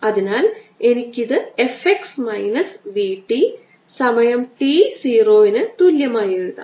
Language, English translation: Malayalam, t, so i can write this as f x minus v t, time t equal to zero